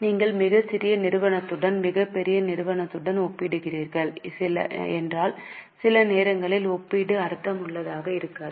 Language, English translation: Tamil, If you are comparing with very small company with very large company, sometimes the comparison may not be meaningful